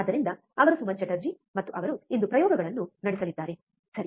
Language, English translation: Kannada, So, he is Suman Chatterjee, and he will be performing the experiments today, alright